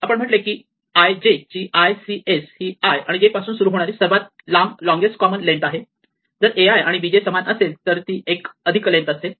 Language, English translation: Marathi, If we say like we had before that lcs of i j is the length of the longest common starting to i and j if a i is equal to b j it will be one plus the length start it from i plus 1 j plus plus 1